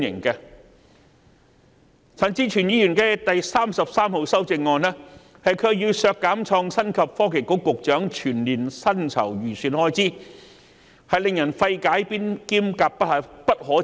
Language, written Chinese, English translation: Cantonese, 可是，陳志全議員提出的第33號修正案，卻要求削減創新及科技局局長全年薪酬預算開支，實在令人費解及感到不可接受。, Notwithstanding this Amendment No . 33 proposed by Mr CHAN Chi - chuen seeks to reduce the annual estimated expenditure for the emoluments of the Secretary for Innovation and Technology . It is really perplexing and unacceptable